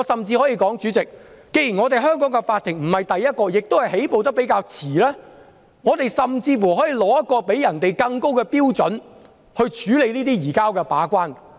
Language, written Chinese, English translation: Cantonese, 主席，既然香港法庭處理這類案件起步較遲，我們甚至可以訂出更高的把關標準，處理這類移交逃犯的案件。, President since Hong Kong courts will start dealing with such cases at a later stage we can even formulate higher gatekeeping standards for them